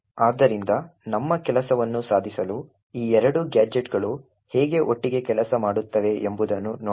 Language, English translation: Kannada, So, let us see how these two gadgets work together to achieve our task